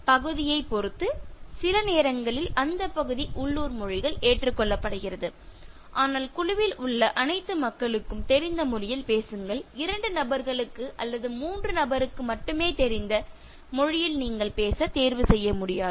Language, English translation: Tamil, And depending on the area, the region sometimes for local languages are accepted, but speak in a language that is known to all the people who are in the group you cannot choose to speak in a language that is known only to two people or three people